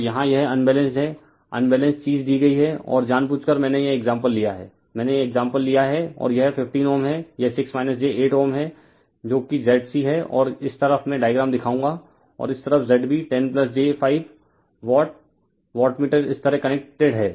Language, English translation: Hindi, So, here it is un , Unbalanced Unbalanced thing is given and the intentionally I have taken this example right intentionally I have taken this example , and this is 15 ohm , this is your 6 minus j 8 ohm that is your Z c and this side I will show you the diagram and this side is your your Z b 10 plus j 5 watt wattmeter is connected like this